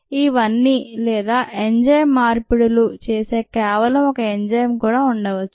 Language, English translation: Telugu, or it could even have just an enzyme which does some enzymatic conversion